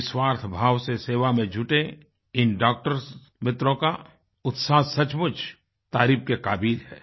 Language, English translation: Hindi, The dedication of these doctor friends engaged in selfless service is truly worthy of praise